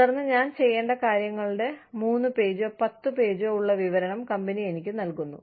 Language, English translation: Malayalam, And then, the company gives me, a 3 page, or a 10 page, description of, what I need to do